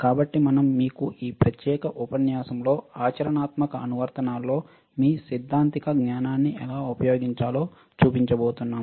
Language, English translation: Telugu, So, this particular set of modules that we are going to show to you are regarding how to use your theoretical knowledge in practical applications